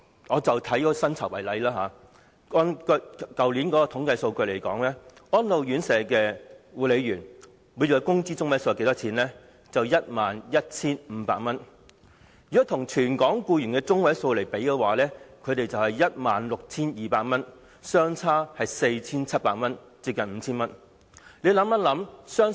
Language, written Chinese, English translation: Cantonese, 我舉薪酬為例，根據去年的統計數據，安老院舍護理員的每月工資中位數是 11,500 元，與全港僱員的每月工資中位數 16,200 元相比，相差 4,700 元，接近 5,000 元。, As a matter of fact there are a whole host of reasons . I cite pay as an example . According to last years statistics the monthly median wage of care workers in RCHEs was 11,500 which had a difference of 4,700―close to 5,000―compared with the 16,200 monthly median wage of all employees in Hong Kong